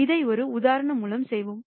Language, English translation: Tamil, Let us do this through an example